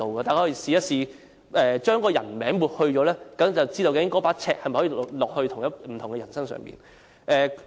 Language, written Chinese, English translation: Cantonese, 大家試試把評論中的人名抹去，便可知道該把尺可否放在不同的人身上。, If the name of the person being commented on is covered we should be able to tell if the same yardstick has been applied to different persons